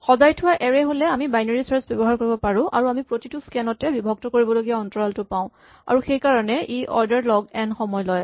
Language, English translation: Assamese, However, if we have a sorted array we can use binary search and have the interval we half to search with each scan and therefore, take order log n time